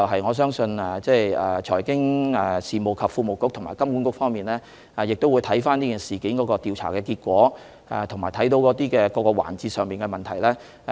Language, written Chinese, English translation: Cantonese, 我相信財經事務及庫務局及金管局亦會檢視此事件的調查結果及跟進各個環節的問題。, I believe the Financial Services and the Treasury Bureau as well as HKMA will also examine the outcomes of the investigation into the incident and follow up on various issues involved